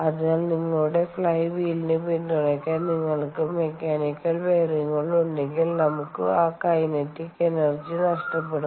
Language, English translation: Malayalam, so therefore, if you have mechanical bearings to support your flywheel, then we are going to lose that kinetic energy